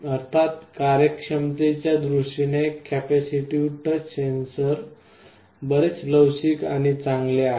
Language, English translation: Marathi, Of course, the capacitive touch sensors are much more flexible and better in terms of performance